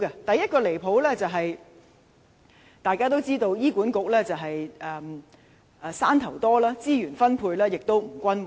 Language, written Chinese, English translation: Cantonese, 第一個離譜之處，大家也知道，醫院管理局"山頭"多，資源分配不均。, The first outrageous point is as we all know sectarianism is prevalent within the Hospital Authority leading to uneven resource distribution